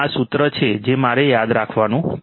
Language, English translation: Gujarati, This is the formula that I have to remember